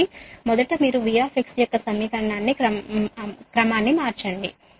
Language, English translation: Telugu, so first you rearrange the equation of v x